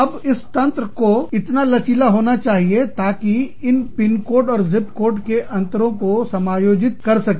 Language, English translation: Hindi, Now, that system has to be flexible enough, to accommodate the difference, in the pin and zip code